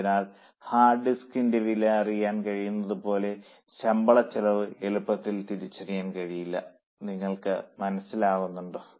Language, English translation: Malayalam, So, salary costs cannot be as easily identified as we are able to know the cost of hard disk